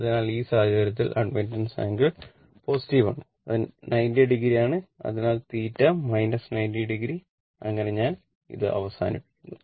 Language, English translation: Malayalam, So, in that case angle of admittance is your what we call that is positive that is 90 degree and therefore, theta is equal to minus 90 degree right so, with this